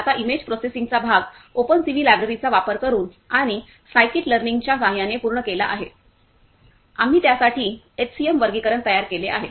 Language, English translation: Marathi, Now the image processing part is done using the openCV library and using the scikit learn, we have created the HCM classifier for it